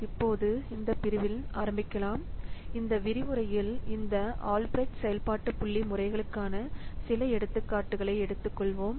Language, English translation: Tamil, Now let's start in this section, in this lecture we will take up some of the examples for this Albreast function point methods